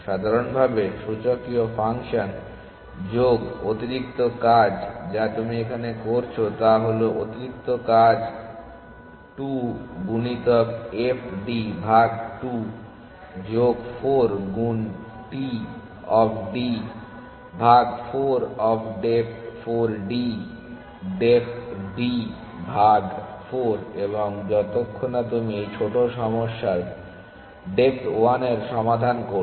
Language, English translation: Bengali, general plus the extra work that you are doing what is the extra work 2 into to f d by 2 plus 4 into t of d by 4 of depth 4 depth d by 4 and soon and so on till you solve this small problem of depth 1